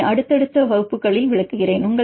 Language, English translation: Tamil, So, that I will explain in the subsequent classes